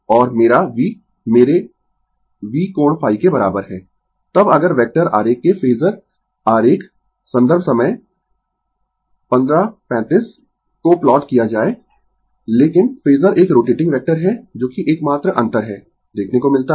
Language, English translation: Hindi, And my v is equal to my V angle phi, than if we plot the phasor diagram of vector diagram, but phasor is a rotating vector that is the only difference you have to see